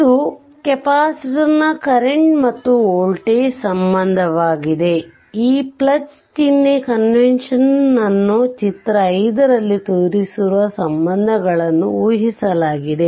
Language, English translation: Kannada, This is the current and voltage relationship for a capacitor, assuming positive sign convention the relationships shown in figure 5